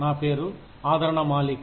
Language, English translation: Telugu, My name is Aradhna Malik